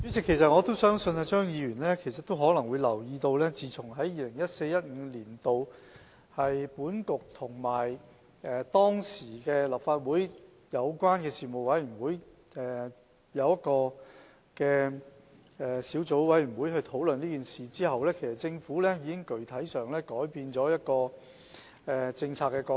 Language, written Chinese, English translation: Cantonese, 主席，我相信張議員可能留意到，在 2014-2015 年度，本局與當時的立法會有關事務委員會成立的小組委員會討論這問題後，政府已具體上改變政策角度。, President I believe Mr CHEUNG may have noticed that in 2014 - 2015 after discussions were held between the Bureau and the Subcommittee set up by the then Legislative Council Panel the Government had specifically changed its policy perspective